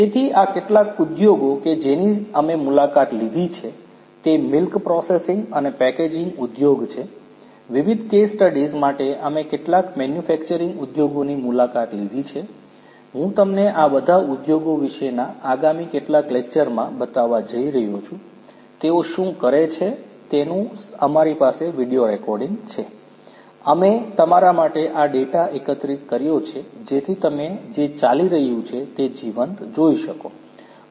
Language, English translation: Gujarati, So, some of these industries that we have visited are the milk processing and packaging industry, we have visited some manufacturing industries different case studies I am going to show you in the next few lectures about all these industries, what they are doing we have video recorded, we have collected these data for you so that you can see live what is going on